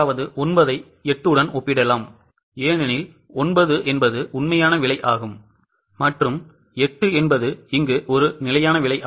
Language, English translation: Tamil, You can compare 9 with 8 because 9 is a actual price and 8 is a standard price